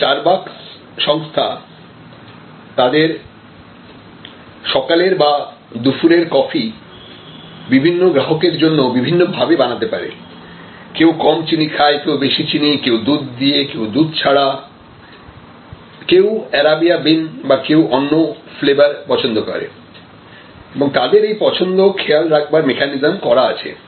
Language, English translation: Bengali, Star bucks can customize their morning coffee or afternoon coffee for people in very different ways, somebody takes less sugar, somebody takes more sugar, somebody takes it with milk, somebody takes it without milk, somebody likes Arabia bean, somebody like some other flavor of coffee and so on and they have a mechanism of keeping track